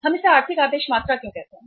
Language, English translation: Hindi, Why we call it as the economic order quantity